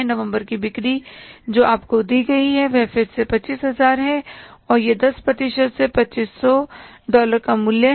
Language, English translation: Hindi, November sales are given to you is that is the 25,000 again and what is the 10% of that